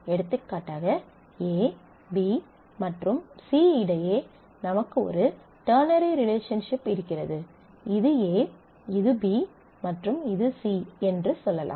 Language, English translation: Tamil, For example, if we have a ternary relationship between A B and C let us say this is a A this is B and this is C and we have a ternary relationship between them